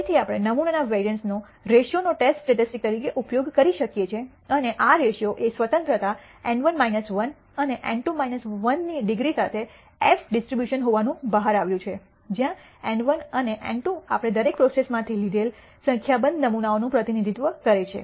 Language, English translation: Gujarati, Again we can use the ratio of the sample variances as a test statistic and this ratio turns out to be an f distribution with degrees of freedom N 1 minus 1 and N 2 minus 1 where N 1 and N 2 represents a number of samples we have taken for each of the process